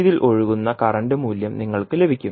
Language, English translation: Malayalam, You will get the value of current flowing in this